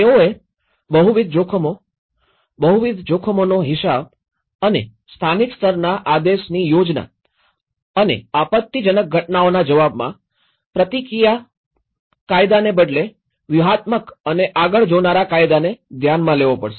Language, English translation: Gujarati, They have to take into the multiple risks, account of the multiple risk and mandate planning in the local level and strategic and forward looking legislation rather than reactionary legislation in response to disaster events